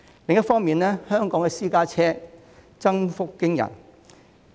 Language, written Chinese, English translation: Cantonese, 另一方面，本港私家車數目增幅驚人。, On the other hand the number of private vehicles in Hong Kong has increased dramatically